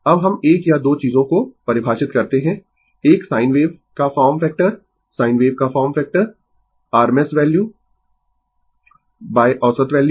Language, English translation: Hindi, Now, we define 1 or 2 things form factor of a sine wave right, form factor of a sine wave rms value by average value right